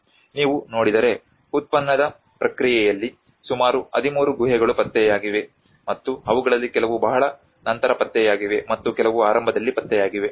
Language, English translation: Kannada, If you look at there are about 13 caves which has been discovered in the excavation process and some of them have been discovered much later and some were discovered in the beginning